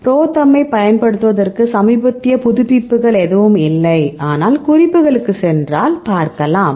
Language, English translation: Tamil, So, for what we use ProTherm there is no recent updates but if you go to the references ok, reference if you see